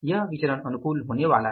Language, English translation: Hindi, So, this is going to be favorable variance